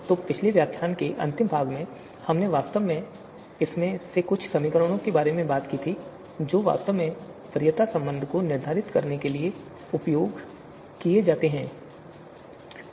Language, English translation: Hindi, So in the last part of the previous lecture, we actually talked about some of these you know you know some of these equations which are actually used to determine the preference relation